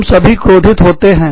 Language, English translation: Hindi, All of us, get angry